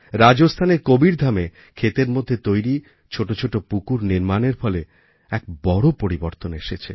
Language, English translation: Bengali, There has been a major change through construction of small ponds in the fields at Kabirdham in Rajasthan